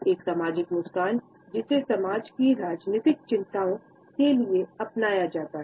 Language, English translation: Hindi, A social smile which is adopted going to politeness concerns of the society